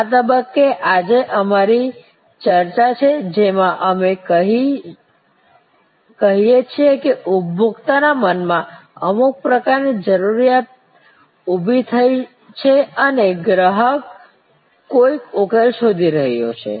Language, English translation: Gujarati, At this stage for us our discussion today, we say that there is some kind of need that has been triggered in the consumer's mind and the consumer is looking for some solution